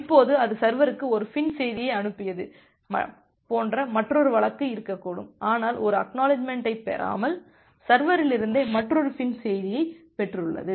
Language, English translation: Tamil, Now there can be another case like it has sent a FIN message to the server, but without getting an ACK, it has received another FIN message from the server itself